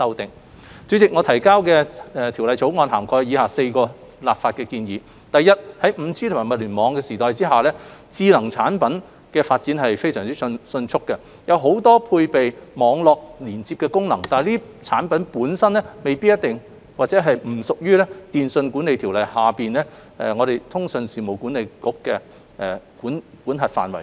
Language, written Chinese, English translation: Cantonese, 代理主席，我們提交的《條例草案》涵蓋以下4項立法建議：第一，在 5G 及物聯網時代下，智能產品發展迅速，很多配備網絡連接功能，但這些產品本身並不屬於《電訊條例》下通訊事務管理局的管轄範圍。, Deputy President the Bill presented by us covers the following four legislative proposals . First in the 5G and IoT era smart products are developing rapidly and many of them are equipped with Internet connection functions but they do not fall within the jurisdiction of the Communications Authority CA under the Telecommunications Ordinance TO